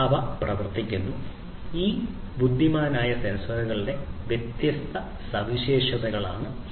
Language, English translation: Malayalam, They are in the works and these are the different features of these intelligent sensors